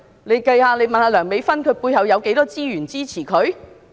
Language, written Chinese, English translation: Cantonese, 大家可以詢問梁美芬議員，她背後有多少資源支持她？, Members can ask Dr Priscilla LEUNG how much resources support her at her back